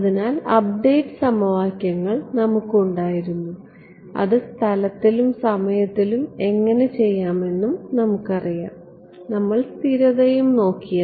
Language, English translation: Malayalam, So, we had our update equations we knew how to step it in space and time, we looked at stability and before stability well yeah